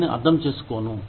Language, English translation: Telugu, I will not understand it